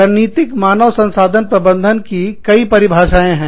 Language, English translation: Hindi, Strategic human resource management, there are various definitions